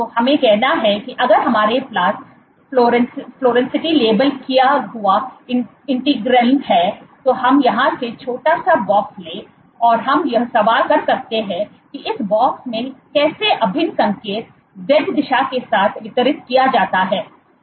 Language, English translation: Hindi, So, if we have fluorescently labeled integrin, let us say and we take a box here a small box here, and we ask the question that in this box how is the integral signaling distributed along the z direction